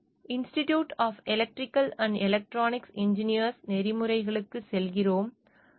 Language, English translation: Tamil, We go to the Institute of Electrical and Electronics Engineers code of ethics